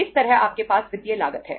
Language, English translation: Hindi, Similarly, you have the financial cost